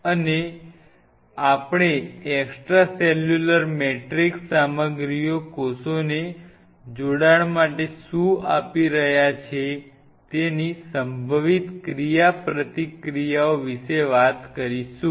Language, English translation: Gujarati, And we will talk about the possible interactions what is extracellular matrix materials are conferring on the attaching cell